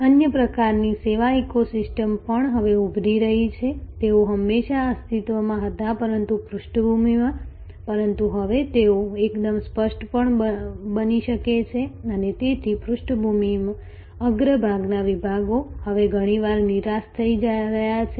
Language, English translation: Gujarati, There are other kinds of service ecosystems also now emerging, they had always existed but in the background, but now they can become also quite explicit and so the background foreground divisions are now often getting defused